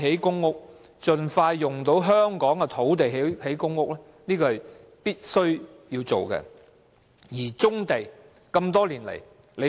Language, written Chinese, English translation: Cantonese, 因此，盡快利用香港的土地興建公屋，是現時必須做的工作。, Therefore what we should do now is to expeditiously make use of our land to build PRH